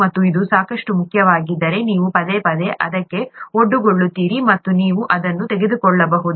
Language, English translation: Kannada, And if it is important enough, then you would be repeatedly exposed to it and you can pick it up